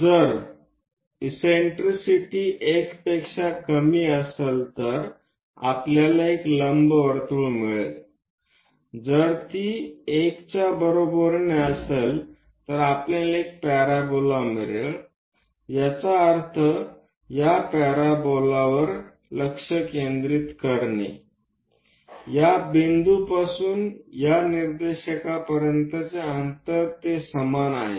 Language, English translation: Marathi, If eccentricity less than 1 we get an ellipse, if it is equal to 1, we get a parabola, that means from focus to point on this parabola and distance from this point to this directrix they are one and the same